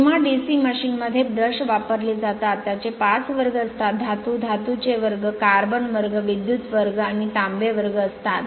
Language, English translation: Marathi, So, the brushes the brushes used for DC machines are divided into 5 classes; metal, metal graphite, carbon graphite, graphite, electro graphite, and copper right